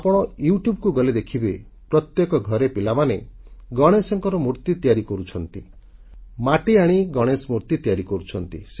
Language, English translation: Odia, If you go on YouTube, you will see that children in every home are making earthen Ganesh idols and are colouring them